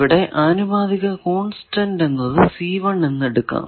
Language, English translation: Malayalam, So, that proportionality constant let us say c1